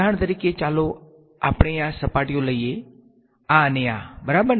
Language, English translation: Gujarati, For example let us take the surfaces this one and this one ok